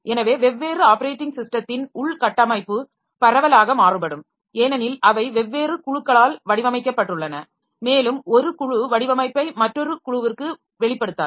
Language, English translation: Tamil, So, internal structure of different operating system can vary widely because they are are designed by different groups and one group will not divulge the design to another group